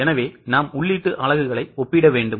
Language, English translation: Tamil, So, what we need to compare are input units